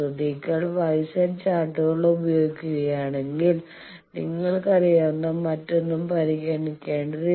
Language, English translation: Malayalam, If you use Y Z charts then you need not consider anything you know that what is the conversion